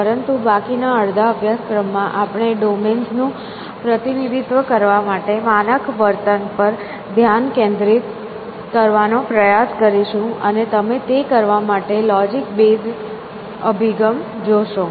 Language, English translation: Gujarati, But, towards a letter half of the course, we will also try to focus on standardize behave to representing domains and you will see logic base approach for doing that